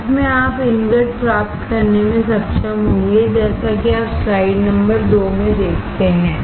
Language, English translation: Hindi, Finally, you will be able to get the ingot as you see in slide number 2